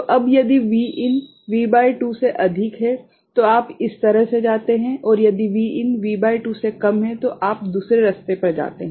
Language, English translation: Hindi, So now, it Vin is greater than V by 2 so, then you go this way and if V in is less than V by 2 you go the other way ok